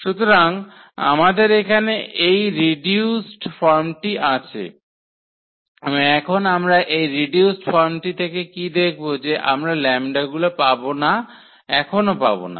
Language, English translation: Bengali, So, we have this reduced form here and now what we will observe out of this reduced form whether we can get such lambdas or we cannot get such lambdas now